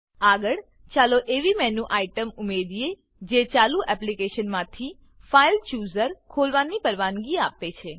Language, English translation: Gujarati, Next let us add a menu item that allows to open the FileChooser from the running application